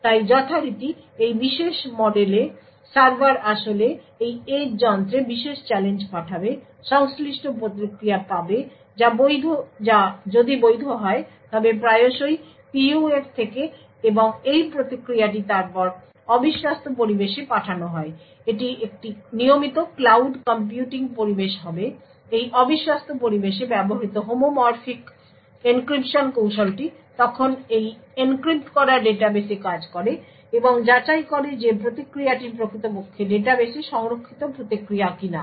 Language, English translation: Bengali, So in this particular model as usual, the server would actually send the particular challenge to this edge device, obtain the corresponding response which if valid is often from the PUF and this response is then sent to the untrusted environment, this would be a regular cloud computing environment, the homomorphic encryption technique used present in this untrusted environment then works on this encrypted database and validates whether the response is indeed the response which is stored in the database